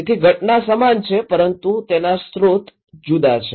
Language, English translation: Gujarati, So, the event is same but the sources are different